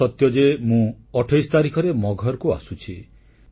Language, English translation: Odia, It is correct that I am reaching Maghar on the 28th